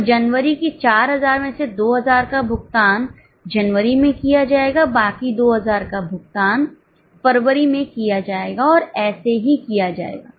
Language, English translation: Hindi, So, out of 4,000 of January, paid 2000 in January, remaining 2000 in February, and so on